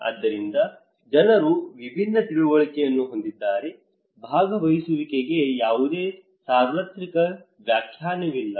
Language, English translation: Kannada, So, therefore, people have different understanding; there is no universal definition of participations